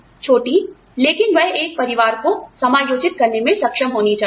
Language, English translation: Hindi, Small, but that should be able to accommodate a family